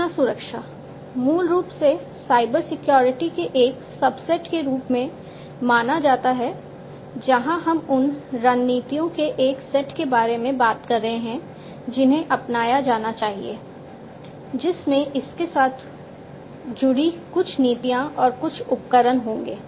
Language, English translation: Hindi, Information security, it is basically recognized as a subset of Cybersecurity, where we are talking about a set of strategies that should be adopted, which will have some policies associated with it, some tools and so on